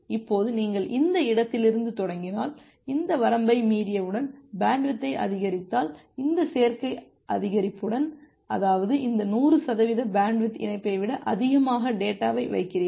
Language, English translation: Tamil, Now if you start from this point and with this additive increase if you increase the bandwidth once you exceed this line; that means, you are putting more data than the capacity of the link, this hundred percent bandwidth link